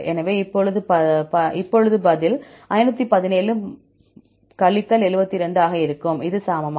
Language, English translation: Tamil, So, now, the answer will be 517 72, this equal to